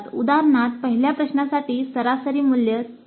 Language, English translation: Marathi, Like for example for the first question the average value was 3